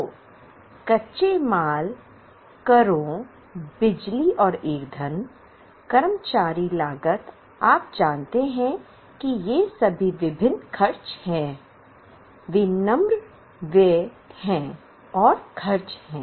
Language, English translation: Hindi, So, raw materials, taxes, power and fuel, employee costs, you know all of these are various expenses